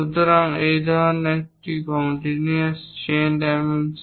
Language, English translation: Bengali, So, these are parallel these are a kind of continuous chain dimensioning